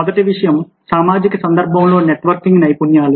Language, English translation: Telugu, the first thing is a networking skills within a social context